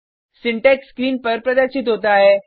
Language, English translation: Hindi, The syntax is as displayed on the screen